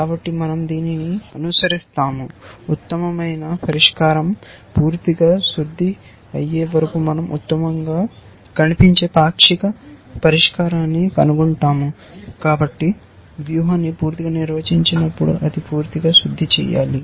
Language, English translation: Telugu, So, we will follow this, we find the best looking partial solution until the best solution is fully refined when it is fully refined, when the strategy is completely defined